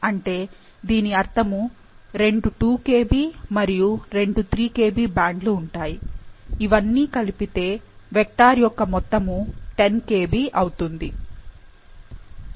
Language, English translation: Telugu, So, that means that there should be two 2 Kb and two 3 KB bands to make, which adds up to the sum of the vector, which is 10 Kb